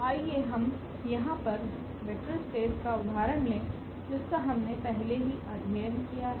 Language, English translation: Hindi, So, let us take the example here the vector space R n which we have already studied